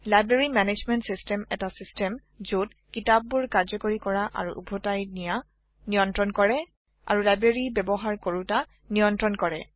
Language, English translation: Assamese, A library management system is a system which manages the issuing and returning of books and manages the users of a library